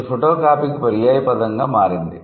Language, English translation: Telugu, This has become synonymous to photocopying